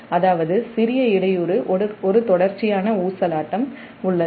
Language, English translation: Tamil, that means because of small disturbance disturbance, there is a continuous oscillation